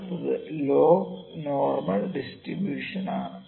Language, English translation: Malayalam, So, next is log normal distribution